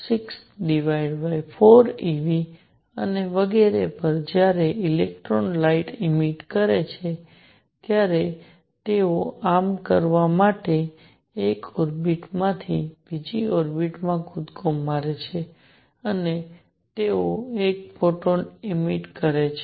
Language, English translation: Gujarati, 6 over 4 e V and so on what he said is when electrons emit light they jump from one orbit to the other in doing so, they emit one photon